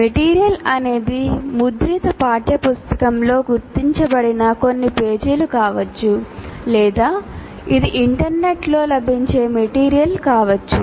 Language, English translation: Telugu, And there they can be certain pages in a printed textbook or it could be material that is available on the internet